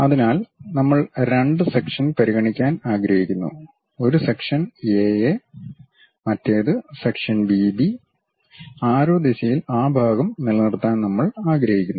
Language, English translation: Malayalam, So, we would like to consider two sections; one section A A and other section B B; in the direction of arrow we would like to retain that part